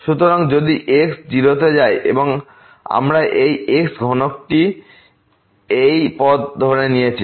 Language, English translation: Bengali, So, if goes to 0 and we have taken this cube along this path